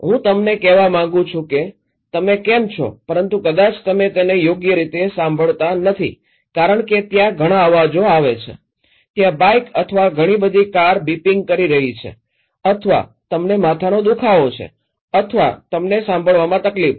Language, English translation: Gujarati, I want to say you how are you but maybe you are not listening it properly because there are a lot of noises there, the bikes there or a lot of the cars are beeping or maybe you have headache or you have difficulty in hearing